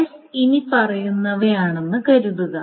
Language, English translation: Malayalam, So suppose S is the following